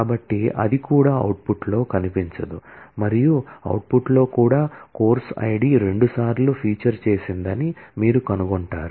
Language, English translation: Telugu, So, that also will not appear in the output and also in the output you find that the course id has actually featured twice